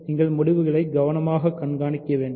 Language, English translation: Tamil, So, you have to keep track of the results carefully